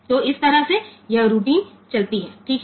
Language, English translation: Hindi, So, this way this routine continues ok